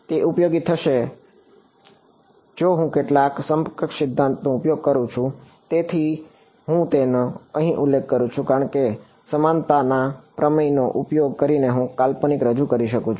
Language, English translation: Gujarati, It may be useful if I use some of the equivalence theorems that is why I am mentioning it over here because by using equivalence theorems I can introduce a fictitious